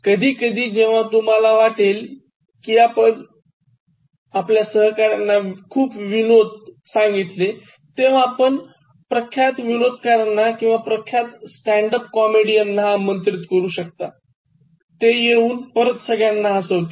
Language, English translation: Marathi, Occasionally, when you feel that enough jokes have been shared by the colleagues, you can invite famous comedians, or renowned stand up comedians and then they can come and evoke laughter